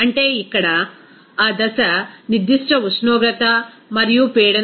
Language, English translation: Telugu, That means here, that phase will be converted at a particular temperature and pressure